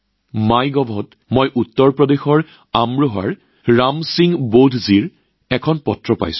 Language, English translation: Assamese, On MyGov, I have received a letter from Ram Singh BaudhJi of Amroha in Uttar Pradesh